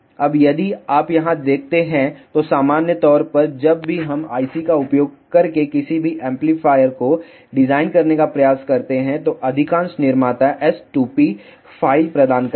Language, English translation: Hindi, Now, if you see here, so in general whenever we try to design any amplifier using the IC, most of the manufacturers provide S2p file